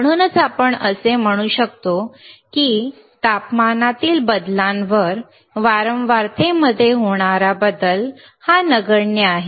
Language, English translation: Marathi, tThat is why we can say that the change in the frequency on the change in temperature is negligibly small